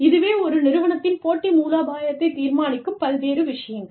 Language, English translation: Tamil, So, various things, that determine, the competitive strategy of a firm